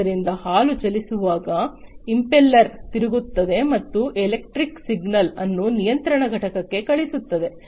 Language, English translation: Kannada, So, impeller spins when the milk moves and sends the electrical signal to the control unit